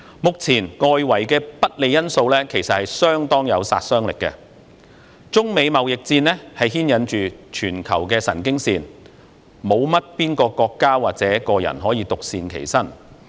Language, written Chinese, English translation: Cantonese, 目前，外圍的不利因素已經相當具殺傷力，中美貿易戰牽引着全球的神經線，沒有國家或個人可以獨善其身。, At present the unfavourable external factors can inflict considerable devastation already . The China - United States trade war has grasped global attention . No country or person can stay aloof